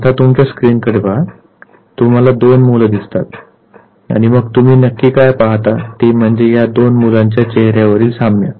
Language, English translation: Marathi, Now look at your screen, you see two kids and then the obvious thing that you basically look at is the resemblance between the faces of these two children